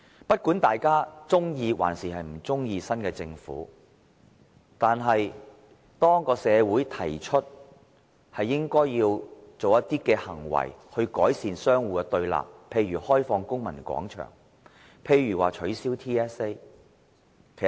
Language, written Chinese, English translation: Cantonese, 不管大家是否喜歡新一屆政府，社會還是提出應採取一些行動來改善互雙對立的局面，例如開放公民廣場、取消 TSA 等。, Whether or not the public like the new government the community considers it necessary to take some steps to ease the deadlock of confrontation such as the opening up of the Civic Square and the abolition of the TSA and so on